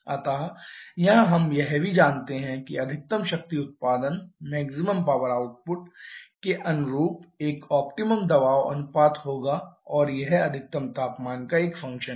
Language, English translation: Hindi, So, here also we know that there will be an optimum pressure ratio corresponding to the maximum power output and that is a function of the maximum temperature